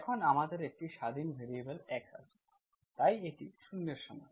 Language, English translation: Bengali, Now we have independent variable x, so this is equal to 0